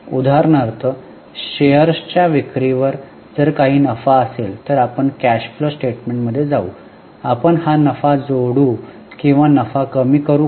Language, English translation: Marathi, For example, if there is any profit on sale of shares, we will take in cash flow statement